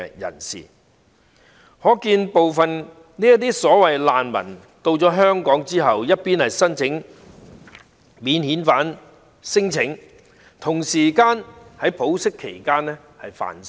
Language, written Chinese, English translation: Cantonese, 由此可見，部分這些所謂難民來港後，一方面申請免遣返聲請，另一方面在保釋期間犯事。, From this we can see that upon entry into Hong Kong some of these so - called refugees lodged non - refoulement claims on the one hand and committed crimes while on recognizances on the other